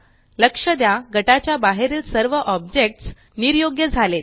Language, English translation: Marathi, Notice that all the objects outside the group are disabled